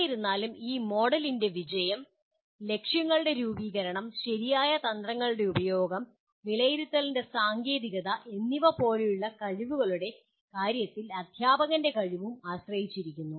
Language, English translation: Malayalam, However, the success of this model depends on the competency and ability of the teacher in terms of skills like the formulation of objectives, use of proper strategies and techniques of evaluation